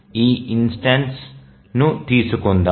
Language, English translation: Telugu, Let's take this instance